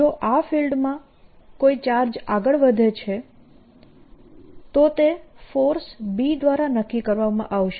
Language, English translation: Gujarati, if a charge moves in this region, the force on it will be determined by b